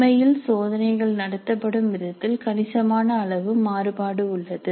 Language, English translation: Tamil, So there is considerable amount of variation in the way the actually tests are conducted